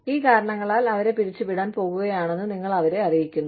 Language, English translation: Malayalam, You let them know, that they are going to be laid off, because of these reasons